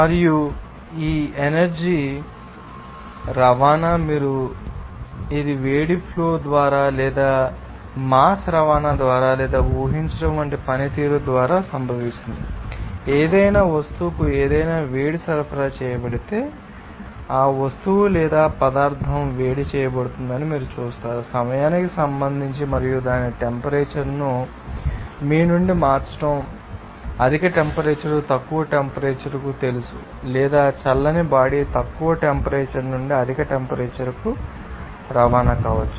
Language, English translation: Telugu, And also this energy transport, you can say, it will occur by flow of heat or by transport of mass or by performance of work like suppose, if any heat is supplied to any object you will see that that object or material will be heated with respect to time and it will be you know changing its temperature from you know higher temperature to the lower temperature or cold body may be transporting from lower temperature to the higher temperature